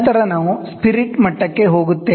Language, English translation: Kannada, Then we move to spirit level